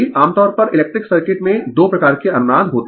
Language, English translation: Hindi, Generally 2 types of resonance in the electric circuits